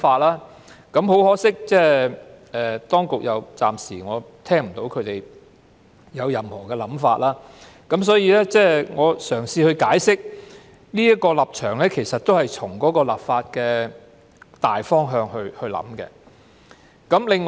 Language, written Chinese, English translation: Cantonese, 不過，很可惜，我暫時仍未聽到當局有任何想法，所以我才會嘗試解釋這是從立法的大方向來考慮。, But unfortunately so far I have not heard the authorities indicate their views . This is why I have been trying to explain my proposal taking into consideration the legislative intent